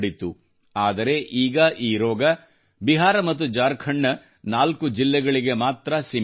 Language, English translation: Kannada, But now this disease is confined to only 4 districts of Bihar and Jharkhand